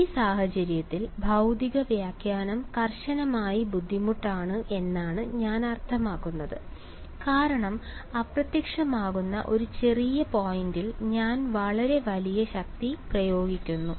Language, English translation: Malayalam, This is I mean physical interpretation is strictly difficult in this case because I am applying a very very large force at a vanishingly small point ok